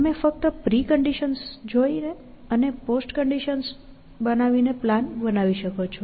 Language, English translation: Gujarati, So, you can only construct plans by looking at pre conditions and making post conditions